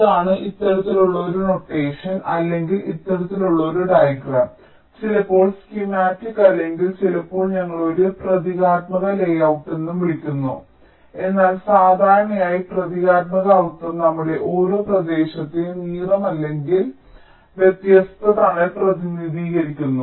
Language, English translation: Malayalam, now, this is, ah, this kind of a notation or this kind of a diagram is sometimes called as schematic, or we also sometimes refer to as a symbolic layout, but usually symbolic means each of our regions are represented by either a color or different shade